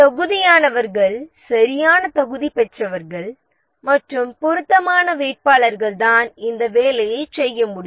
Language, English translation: Tamil, Eligible candidates are the ones who have the right qualification and suitable candidates are the one who can do the job